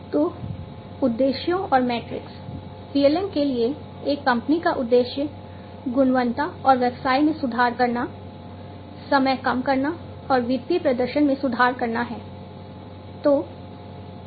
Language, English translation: Hindi, So, objectives and metrics, the objective of a company for PLM is to improve the quality and business, reduce the time, improve the financial performance